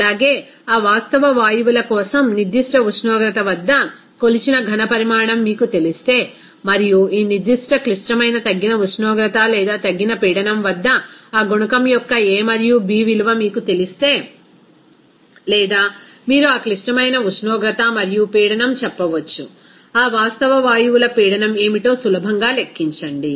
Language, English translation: Telugu, Also if you know that measured volume at a certain temperature for that real gases and also if you know that a and b value of that coefficient at this particular critical reduced temperature or reduced pressure or you can say that critical temperature and pressure, then you can easily calculate what should be the pressure of that real gases